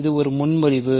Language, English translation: Tamil, So, this is a proposition